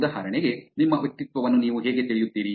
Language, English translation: Kannada, For example, how do you know your personality